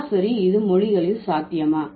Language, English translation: Tamil, Is it possible in the languages